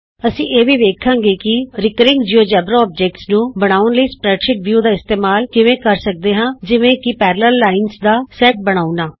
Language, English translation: Punjabi, We will also see how the spreadsheet view can be used to create recurring Geogebra objects like creating a set of parallel lines